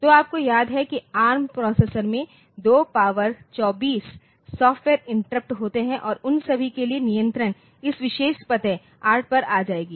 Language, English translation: Hindi, So, you remember there are there are 2 power 24 software interrupts that can occur in ARM processor and for all of them the control will be coming to this particular address 8